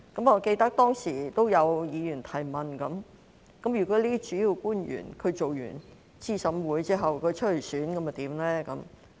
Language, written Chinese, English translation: Cantonese, 我記得當時有議員提問，如果主要官員擔任資審會成員後參選，會有何安排？, I remember that a Member asked at that time what arrangements would be made if a principal official serving as a member of CERC wished to stand for election